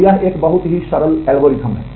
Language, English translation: Hindi, So, this is a very simple algorithm